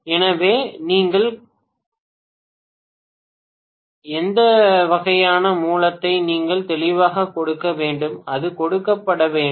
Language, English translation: Tamil, So, you should be given clearly what is the kind of source that you are you know adhering to, that has to be given